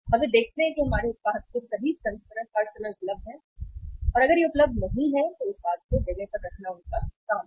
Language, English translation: Hindi, And they see that all variants of our product is available there all the times and if it is not available it is their job to put the product on place